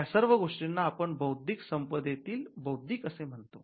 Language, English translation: Marathi, Now, let us take the intellectual part of intellectual property rights